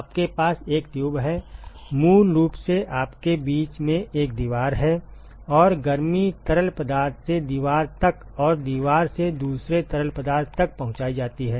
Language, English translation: Hindi, You have you have a tube, basically you have a wall in between and the heat is transported from the fluid to the wall and from wall to the other fluid